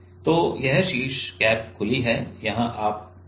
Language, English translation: Hindi, So, this is the top cap is open here you can you